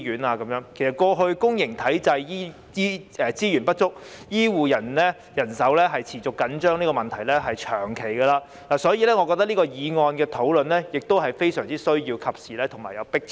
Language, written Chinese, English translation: Cantonese, 其實，過去公營醫療體系資源不足，醫護人手持續緊張這問題存在已久，所以我認為討論這項議案是非常需要、及時和具有迫切性。, In fact the shortage of resources and the consistently tight healthcare manpower plaguing the public healthcare system are long - standing problems . In view of this I think the discussion on this motion is most needed timely and pressing